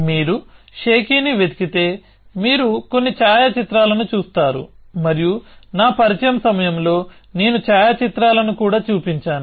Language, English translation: Telugu, So, if you just look up Shakey, you will see some photographs and I had shown the photographs during my introduction as well